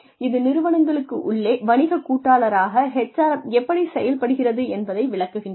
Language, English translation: Tamil, That describes, how HRM operates as a business partner within organizations